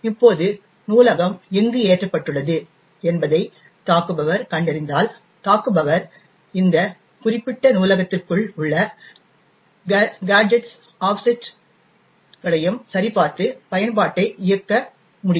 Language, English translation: Tamil, Now, if the attacker finds out where the library is loaded then the attacker could adjust the gadgets and the offsets within this particular library and still be able to run the exploit